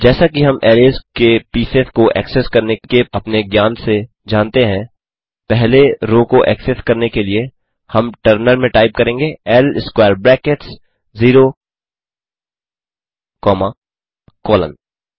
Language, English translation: Hindi, As we know from our knowledge of accessing pieces of arrays, to access the first row, we will do in terminal type L square brackets 0 comma colon